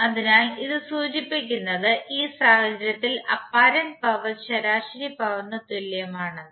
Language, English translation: Malayalam, So that implies that apparent power is equal to the average power in this case